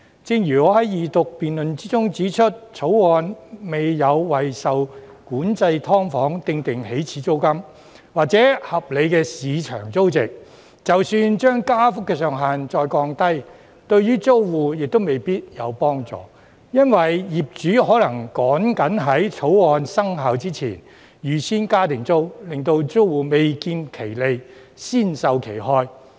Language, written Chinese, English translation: Cantonese, 正如我在二讀辯論時指出，《條例草案》未有為受管制"劏房"訂定"起始租金"或合理的市場租值，即使把加幅的上限再降低，對租戶亦未必有幫助，因為業主可能趕緊在《條例草案》生效前預先加租，令租戶未見其利，先受其害。, As I pointed out during the Second Reading debate the Bill has not set an initial rent or a reasonable market rental value for SDUs under control . Even if the cap on the rate of increase is further lowered it may not help the tenants because the landlords may rush to increase the rent before the legislation comes into effect